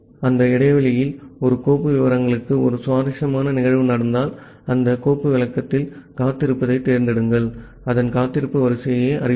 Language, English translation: Tamil, And during that interval if an interesting event happens to any of the file descriptor that select is waiting on that file descriptor will notify its wait queue